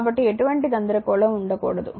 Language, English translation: Telugu, So, there should not be any confusion